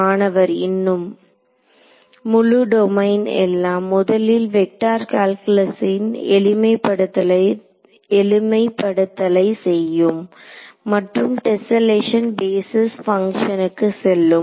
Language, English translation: Tamil, Whole domain everything so, it makes sense to do all of the vector calculus simplifications first and then go to tessellation basis function and so on